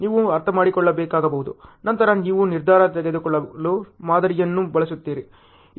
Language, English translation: Kannada, That you may have to understand, then you use the model for decision making